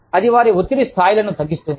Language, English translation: Telugu, That will bring, their stress levels down